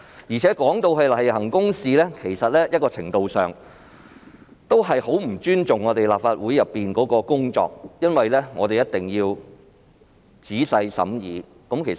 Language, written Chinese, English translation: Cantonese, 若說這是例行公事，在某程度上其實是極不尊重我們在立法會的工作，因為我們一定要作出仔細的審議。, If the processing of the resolution is considered a matter of routine this is to a certain extent a grave disrespect for our work in this Council because the proposal must undergo our thorough deliberation